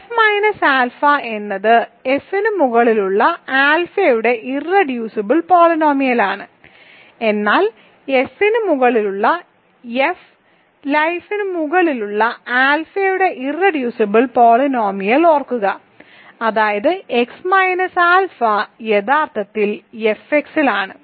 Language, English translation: Malayalam, So, x minus alpha is irreducible polynomial of alpha over F, but remember irreducible polynomial of alpha over F lives over F, that means x minus alpha is actually in F x